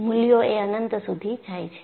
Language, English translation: Gujarati, The values go to infinity